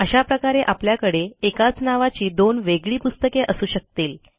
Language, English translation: Marathi, This way, we can have two completely different books with the same title